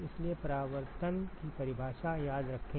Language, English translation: Hindi, So remember the definition of reflectivity